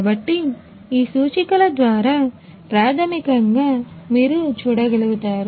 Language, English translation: Telugu, So, through these indicators basically you are able to see